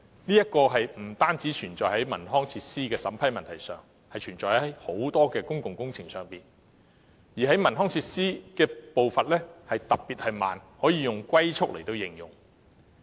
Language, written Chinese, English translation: Cantonese, 這不單存在於文康設施的審批問題上，亦存在於很多公共工程上，而在文康設施方面的步伐特別緩慢，可以"龜速"來形容。, This problem is found in the vetting and approval process of not only recreational facilities but also many public works projects . And in the case of recreational facilities the pace is particularly slow and it can be described as tortoises pace